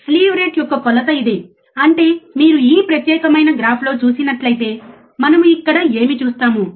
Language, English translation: Telugu, There is a measure of slew rate; that means, if you see in this particular graph, what we see